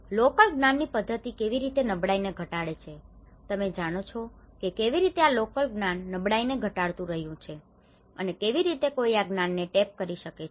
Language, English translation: Gujarati, How the local knowledge systems reduce the vulnerability, you know how this local knowledge have been reducing the vulnerability and how one can tap this knowledge